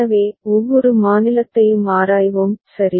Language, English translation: Tamil, So, we shall examine each of the states, right